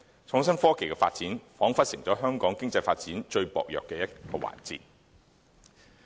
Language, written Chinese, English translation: Cantonese, 創新科技的發展，彷彿成為香港經濟發展最薄弱的環節。, Innovation and technology remains the weakest link in Hong Kongs economic development